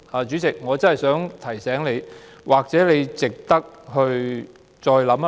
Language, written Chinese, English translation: Cantonese, 主席，我真的想提醒你，或許你值得再考慮。, President I really wish to remind you of something maybe worth your reconsideration